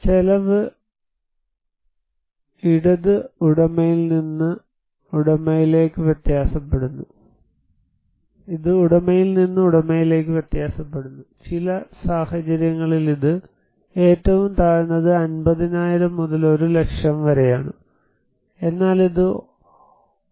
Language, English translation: Malayalam, The cost, it varies from owner to owner, in some cases it is; the lowest one is 50,000 to 1 lakh and but it is a highly cost like 1